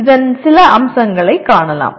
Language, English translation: Tamil, Let us move on to some features of this